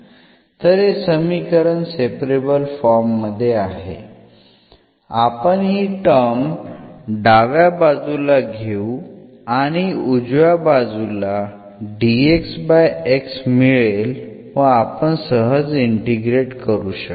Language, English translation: Marathi, So, now, this equation is in separable form we can take this term to the left hand side and that the right hand side will go this dx over x and then we can integrate easily